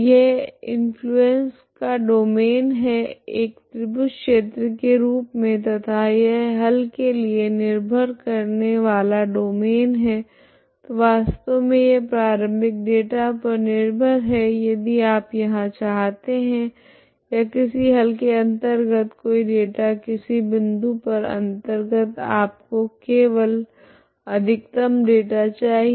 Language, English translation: Hindi, this is the domain of influence is the domain of influency as a triangle area and this is the domain of dependence for the solution so this is actually depending on initial data only here if you want here or any data inside any solution at any point inside you need only a data maximum here, okay